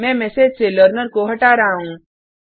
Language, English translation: Hindi, Im removing the Learner from the message